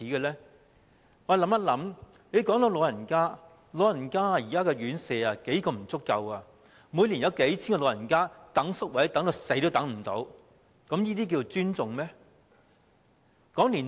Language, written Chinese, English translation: Cantonese, 說到老人家，現時老人院舍宿位嚴重不足，每年有數千名長者輪候宿位直至離世也輪候不到，這樣是尊重他們嗎？, Talking about the elderly now the residential care places for the elderly are severely inadequate . Every year thousands of elderly people passed away while waiting for residential care places . Is this the way to respect them?